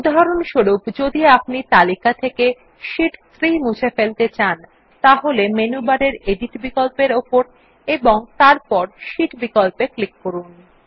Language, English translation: Bengali, For example if we want to delete Sheet 3 from the list, click on the Edit option in the menu bar and then click on the Sheet option